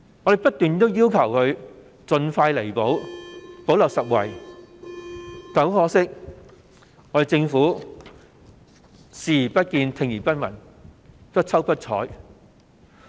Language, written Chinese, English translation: Cantonese, 我們不斷要求當局盡快作出彌補，補漏拾遺，但很可惜，政府對此視而不見，聽而不聞，不瞅不睬。, We have been repeatedly asking the authorities to remedy the situation expeditiously and plug the gaps but regrettably the Government simply ignored us by turning a blind eye and a deaf ear to our call